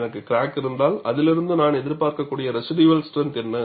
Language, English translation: Tamil, If I have a crack, what is the residual strength that I could anticipate from it